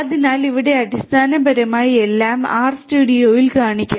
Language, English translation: Malayalam, So, here basically everything will be shown in the R studio